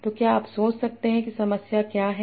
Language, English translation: Hindi, So can you think of what is the problem